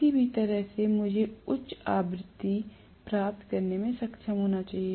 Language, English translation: Hindi, Either way, I should be able to get a higher frequency